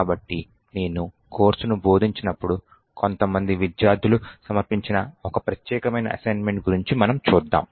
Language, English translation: Telugu, So, we will be just glimpsing about one particular assignment which was submitted by some of the students in the course when I was actually teaching it